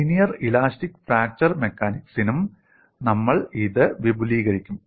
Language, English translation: Malayalam, The same idea we would also extend it for linear elastic fracture mechanics